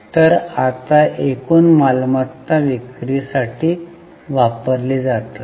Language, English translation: Marathi, So now the total assets are used to generate sales